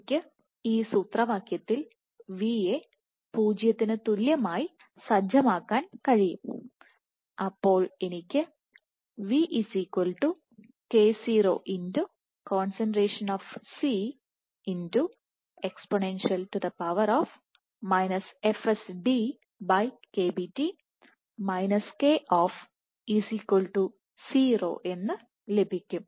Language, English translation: Malayalam, So, I can set v equal to 0 in this expression and I can have k0 [C] e to the power fd / KBT Koff equal to 0